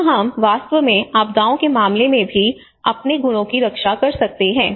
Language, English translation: Hindi, Where we can actually safeguard our properties even in the case of disasters